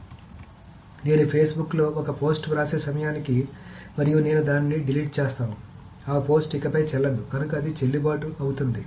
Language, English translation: Telugu, So by the time I write a post into Facebook and I delete it, that post is no longer valid